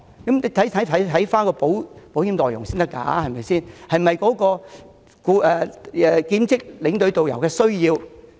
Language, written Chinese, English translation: Cantonese, 但是，大家必須考慮保險內容是否切合兼職領隊及導遊的需要。, Yet we should not overlook the coverage of the insurance plan in judging whether it meets the needs of part - time tour escorts and tourist guides